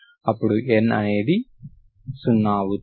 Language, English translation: Telugu, So this is actually N